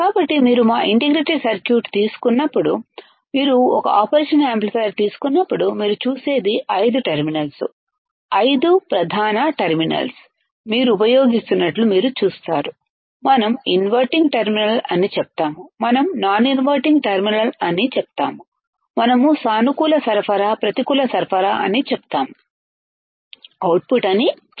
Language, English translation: Telugu, So, when you take our integrated circuit, when you take an operational amplifier, what you see do you see that there are five terminals, five main terminals what you will be using, we say inverting terminal, we say non inverting terminal, we say positive supply, we say negative supply, we say output